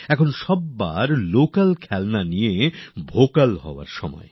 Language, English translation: Bengali, For everybody it is the time to get vocal for local toys